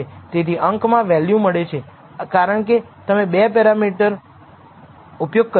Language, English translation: Gujarati, So, generally the numerator value is obtained, because you have used 2 parameters